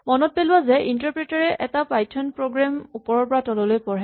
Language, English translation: Assamese, Remember that a Python program is read from top to bottom by the interpreter